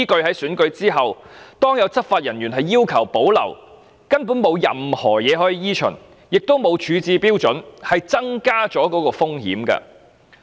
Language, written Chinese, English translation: Cantonese, 在選舉後，當有執法人員要求保留時，根本沒有任何指引可依循，亦沒有處置標準，因而增加當中的風險。, When law enforcement officers make a request for retention of materials after an election there are neither any guidelines to follow nor any standards for disposal resulting in an increased risk